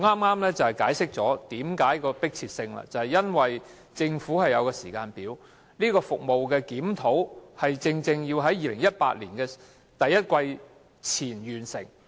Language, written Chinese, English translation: Cantonese, 我剛才解釋了會議何故迫切，就是因為按政府的時間表，相關服務的檢討須於2018年第一季前完成。, As I explained just now the meeting is urgent because according to the Governments timetable the review of those services must be completed by the first quarter of 2018